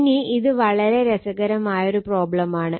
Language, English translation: Malayalam, Now, , this is a very interesting problem